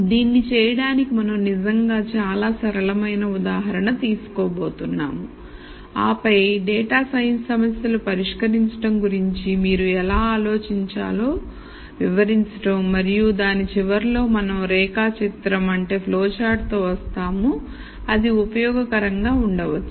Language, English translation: Telugu, So, to do this we are actually going to take a very simple example and then illustrate how you should think about solving data science problems and at the end of it we will come up with a flow chart that might be useful